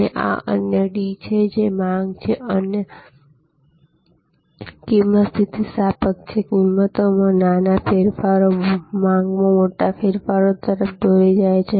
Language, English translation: Gujarati, , which is demand is price elastic, small changes in prices lead to big changes in demand